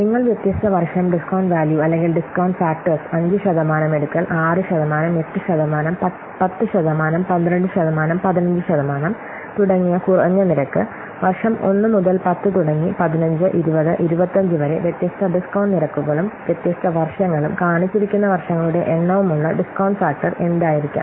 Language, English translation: Malayalam, So you can see that the discount values or the discount factors for different years and taking different discount rates like 5%,, 6 percent, 8 percent, 10 percent, 12 percent, 15 percent and different what years like 1 to up to 10, 15, 20, 25, what could be the discount factor with the different discount rates and discount years and the number of years it is shown